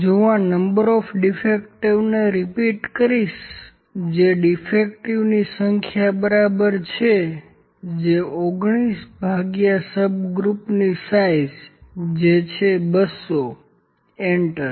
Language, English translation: Gujarati, If it I will repeat number of defectives this is equal to number of defectives is in 19 divided by the subgroup size that is 200 enter